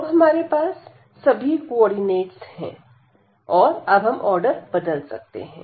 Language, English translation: Hindi, So, we have all the coordinates we can change the order now